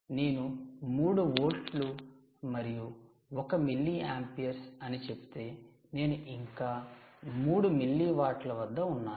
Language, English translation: Telugu, where, as if you say three volts and one milliampere, then you are still at three milliwatts, which is still fine, right